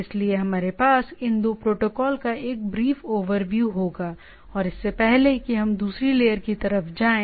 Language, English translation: Hindi, So, we will have a brief overview of these 2 protocol and before we go to the other layer side